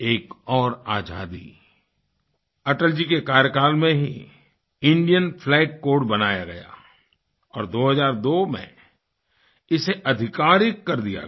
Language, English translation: Hindi, One more freedomthe Indian Flag Code was framed in Atalji's tenure and it came into effect in 2002